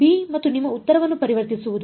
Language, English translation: Kannada, Transforming b and your answer